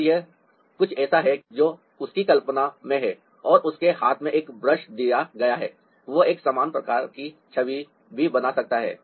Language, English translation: Hindi, so this is something that he has in his imagination and given a brush in his hand, he can al[so] also produce an image of a similar kind